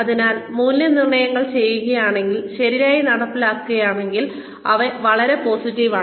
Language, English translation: Malayalam, So, appraisals are, if done, if carried out properly, they are very very, positive